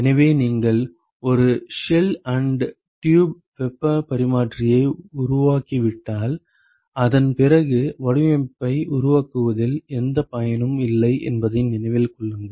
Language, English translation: Tamil, So, remember that once you have fabricated a shell and tube heat exchanger there is no point in working out the design after that